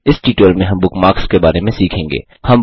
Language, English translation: Hindi, In this tutorial, we will learn about Bookmarks